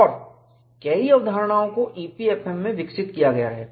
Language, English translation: Hindi, And many concepts have been developed in EPFM